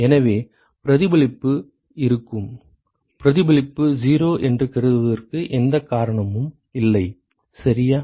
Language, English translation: Tamil, So, there will be reflection, there is no reason to assume that reflection is 0 ok